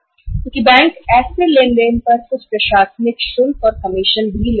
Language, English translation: Hindi, Because banks also charge some administrative charges and commission on such transactions